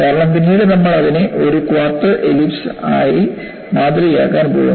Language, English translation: Malayalam, Because, later, we are going to model it as a quarter ellipse